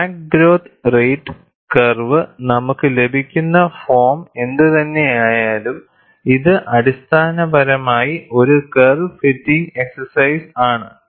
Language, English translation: Malayalam, Whatever the crack growth rate curve, the form that we get, it is essentially a curve fitting exercise